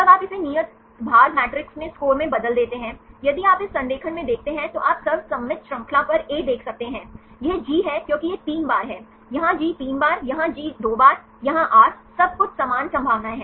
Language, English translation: Hindi, Then you convert this into scores in due weight matrix; if you look into this alignment you can see consensus series A, this is G because this is 3 times, here G 3 times, here G 2 times, here R, everything has equal probabilities